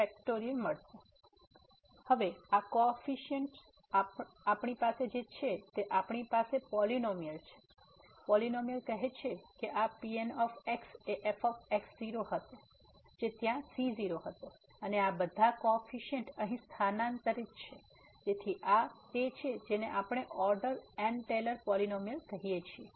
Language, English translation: Gujarati, So, having these coefficients now what we have we have the polynomial, the polynomial says that this will be which was there and all these coefficients are substituted here, so this is what we call the Taylor’s polynomial of order